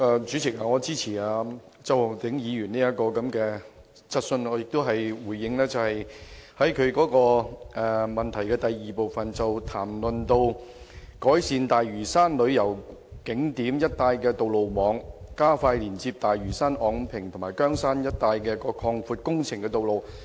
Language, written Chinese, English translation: Cantonese, 主席，我支持周浩鼎議員提出的這項質詢，我也想回應其主體質詢第二部分，關於改善大嶼山旅遊景點一帶的道路網，包括加快連接大嶼山、昂坪及羗山一帶擴闊道路的工程。, President I support the question raised by Mr Holden CHOW . I would also like to respond to part 2 of the main question in relation to improving the road traffic network in the vicinity of tourist attractions on Lantau Island including expediting the widening of roads connecting Lantau Ngong Ping and Keung Shan